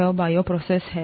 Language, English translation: Hindi, This is what the bioprocess is